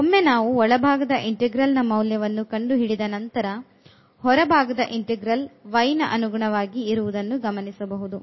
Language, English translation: Kannada, So, then once having done the evaluation of the inner integral we will go to the outer one now with respect to y